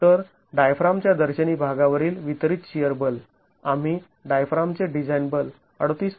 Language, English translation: Marathi, So, the distributed shear force across the face of the diaphragm, we calculated the design force of the diaphragm as 38